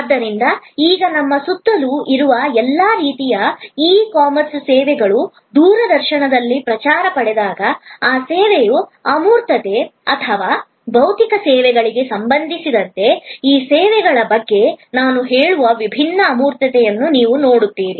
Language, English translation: Kannada, So, all the different kinds of e commerce services that are now all around us, when they are promoted on the television, you will see the abstractness of that service or the differentiating abstractness I would say of the e services as suppose to physical services are depicted through different episodes